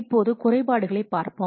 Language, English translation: Tamil, Now let's see the drawbacks